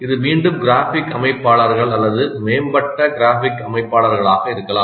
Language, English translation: Tamil, It can be again graphic organizers or advanced graphic organizers